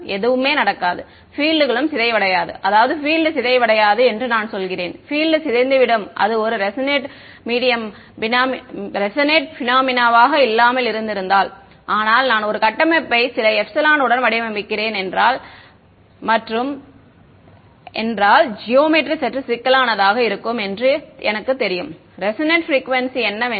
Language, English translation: Tamil, Nothing will happen right the fields will not decay I mean the field will not decay I mean the field will decay off it will not be a resonate phenomena, but once I designed a structure with some epsilon if the and if the geometry slightly complicated I would know what the resonate frequency is